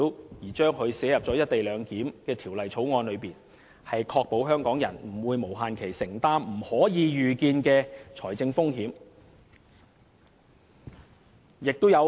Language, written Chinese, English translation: Cantonese, 我的修正案提出把有關條文寫入《條例草案》，是要確保香港人不會無限期承擔不可預見的財政風險。, The proposal to incorporate the relevant provisions into the Bill seeks to ensure that Hong Kong people would not have to bear unforeseeable financial risk forever